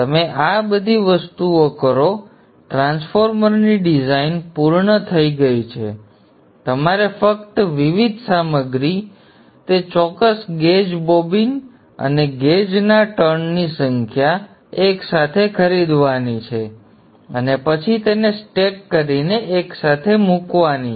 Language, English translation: Gujarati, Moment you do all these things, the design of the transformer is complete, you just have to buy the various materials, the core, the core, the number of turns, the gauge with that particular gauge, bobbin, wind them together and then stack them and put them together